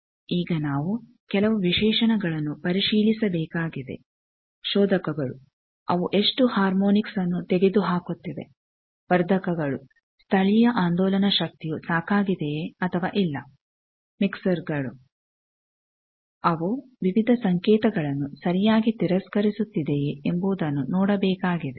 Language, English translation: Kannada, Now, we need to verify specifications like filters, we need to see how much harmonics it is removing amplifiers whether the local amplifier power is local oscillator power is sufficient or not mixers whether it is properly rejecting various signals